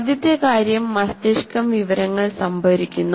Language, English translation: Malayalam, First thing is the brain stores information